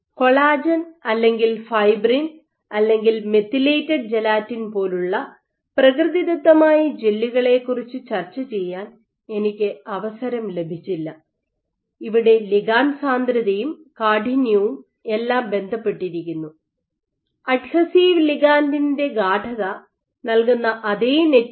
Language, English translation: Malayalam, I did not get a chance to discuss about native gels like collagen or fibrin or methylated, gelatine, where ligand density and stiffness are all related because the same network which is giving you the adhesive ligand that concentration is also dictating the bulk stiffness of that network